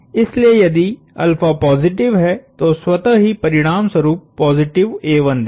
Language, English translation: Hindi, So, if alpha is positive that would automatically result in positive a 1